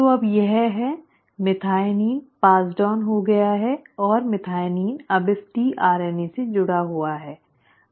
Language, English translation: Hindi, So now it has, methionine has been passed on and methionine is now linked to this tRNA